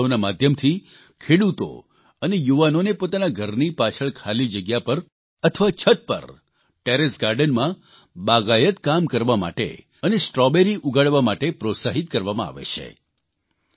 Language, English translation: Gujarati, Through this festival, farmers and youth are being encouraged to do gardening and grow strawberries in the vacant spaces behind their home, or in the Terrace Garden